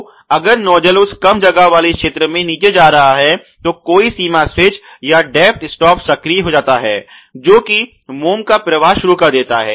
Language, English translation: Hindi, So, if the nozzle is going all the way down into that less gap zone then may be some limit switch or a positive depths stop can be actuated which starts the flow of the wax ok